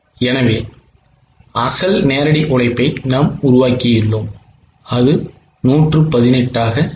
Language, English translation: Tamil, So, we have worked out the original direct labor which is 118